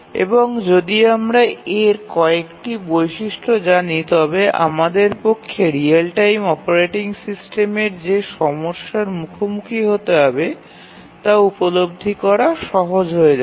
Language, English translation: Bengali, And if we know some of the characteristics of these it becomes easier for you, for us to appreciate the issues that a real time operating system would have to face